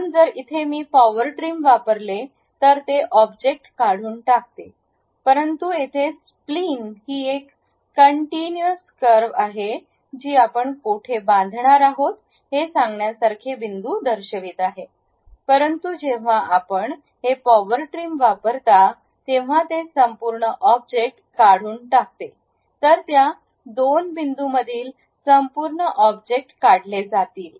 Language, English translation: Marathi, So, if I use Power Trim it removes that object, but here Spline is a continuous curve though it is showing like points from where to where we are going to construct, but when you use this Power Trim it removes the entire object, whatever the entire object you have between the points that will be removed